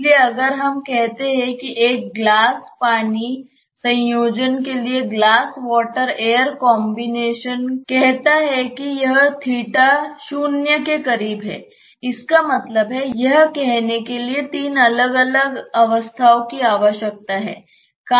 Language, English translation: Hindi, So, if we say that for a glass water combination glass water air combination say this theta is close to zero maybe; that means, that it requires three different phases so to say